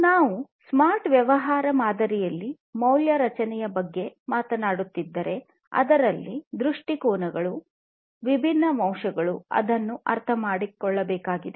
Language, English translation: Kannada, So, you know, if we are talking about the value creation in a smart business model, there are different perspectives different aspects that will need to be understood